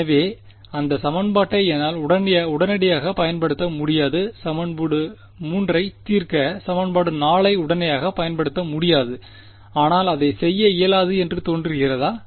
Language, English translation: Tamil, So, I cannot immediately use this equation 4 to solve equation 3, but does it look impossible to do